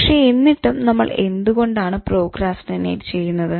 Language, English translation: Malayalam, Why do we procrastinate